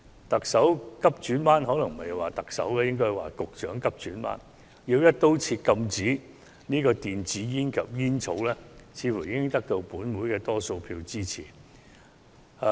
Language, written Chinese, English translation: Cantonese, 特首急轉彎——可能不應說是特首，是局長急轉彎——要"一刀切"禁制電子煙及有關的煙草產品，這似乎已得到本會多數議員支持。, The Chief Executive has made a sharp turn―perhaps it is not the Chief Executive but the Secretary who has made this sharp turn―by proposing a ban on e - cigarettes and related smoking products across the board which seems to have obtained support from a majority of Members in this Council